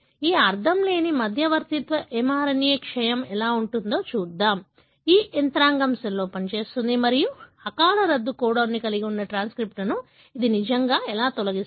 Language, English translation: Telugu, So, let us look into how this nonsense mediated mRNA decay, this mechanism operates in the cell and how does it really remove transcripts that carry premature termination codon